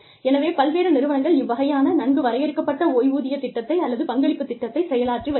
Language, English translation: Tamil, So, different organizations, have this kind of contributory, well defined pension plan, or contribution plan